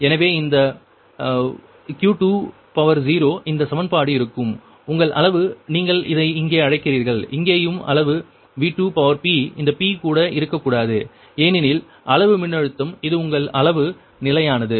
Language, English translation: Tamil, this equation will be right, that your ah magnitude, your this one, what you call here also, here also magnitude v two p, this p also should not be there, because magnitude, voltage is this thing is your magnitude is constant